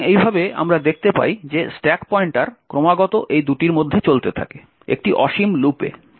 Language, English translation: Bengali, So, in this way we see that the stack pointer continuously keeps moving between these two locations in an infinite loop